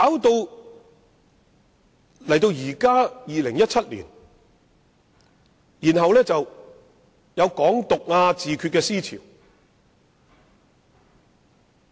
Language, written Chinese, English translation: Cantonese, 不過，到了現在2017年，卻出現"港獨"和"自決"的思潮。, However today in 2017 we saw the rise of the ideologies of Hong Kong independence and self - determination